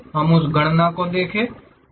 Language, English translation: Hindi, We will see that calculation